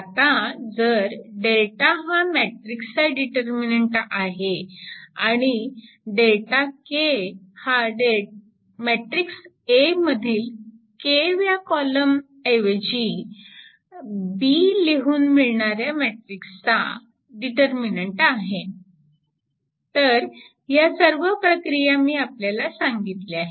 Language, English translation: Marathi, Now, if delta is the determinant of matrix and delta k is the determinant of the matrix formed by replacing the k th column of matrix A by B